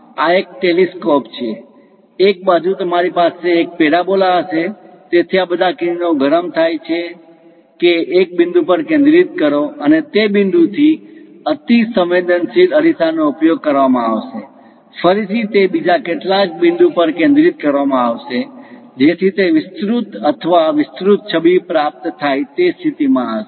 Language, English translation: Gujarati, This is a telescope, on one side you will have a parabola; so all these rays comes heats that, focus to one point and from that one point hyperbolic mirror will be used, again it will be focused at some other point so that it will be amplified or enlarged image one will be in position to get